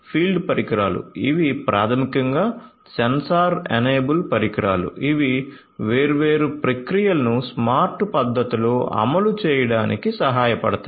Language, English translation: Telugu, So, field devices so, you know these are basically sensor enable devices which will help in execution of different processes in a smart manner